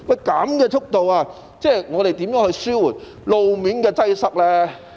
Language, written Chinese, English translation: Cantonese, 這樣的速度，如何能夠紓緩路面的擠塞呢？, How can such a pace alleviate road traffic congestion?